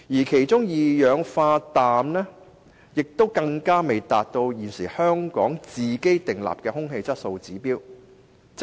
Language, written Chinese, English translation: Cantonese, 其中，路邊二氧化氮的濃度更未達到香港現時的空氣質素指標。, The concentration of roadside nitrogen dioxide in these three pollutants has still failed to reach the present Air Quality Objectives in Hong Kong